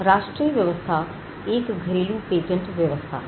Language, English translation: Hindi, The national regime is nothing, but the domestic patent regime